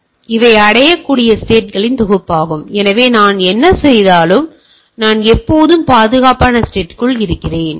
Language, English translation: Tamil, So, these are set of reachable state, so if I say whatever I do I am always within the secured state